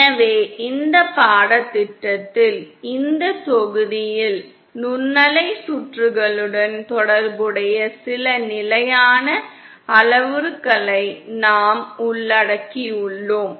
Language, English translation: Tamil, So in this course, in this module, we covered some of the more standard parameters associated with microwave circuits